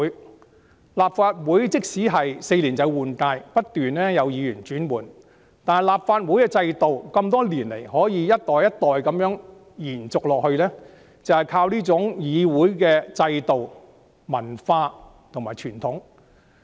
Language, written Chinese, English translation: Cantonese, 即使立法會每4年換屆，不斷有議員更替，但立法會的制度多年來可以一直延續下去，就是靠這種議會制度、文化和傳統。, Even a new Legislative Council is formed every four years and Members come and go the system of the Legislative Council can carry on over the years precisely by virtue of such parliamentary system culture and traditions